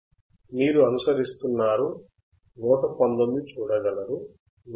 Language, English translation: Telugu, You can see it is following, 119, 120